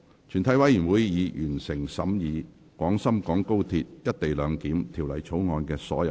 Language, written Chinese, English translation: Cantonese, 全體委員會已完成審議《廣深港高鐵條例草案》的所有程序。, Since the question was agreed by a majority of the Members present he therefore declared that the motion was passed